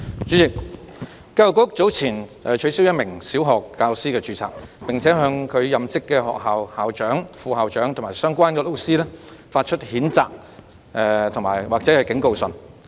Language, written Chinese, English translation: Cantonese, 主席，教育局早前取消一名小學教師的註冊，並向其任職學校的校長、副校長及相關教師發出譴責信或警告信。, President earlier on the Education Bureau EDB cancelled the registration of a primary school teacher and issued reprimand letters or warning letters to the principal vice - principal and relevant teachers of the school in which that teacher worked